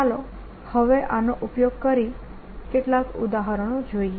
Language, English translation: Gujarati, let us now use this to see some examples